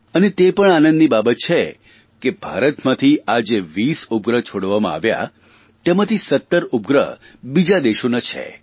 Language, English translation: Gujarati, And this is also a matter of joy that of the twenty satellites which were launched in India, 17 satellites were from other countries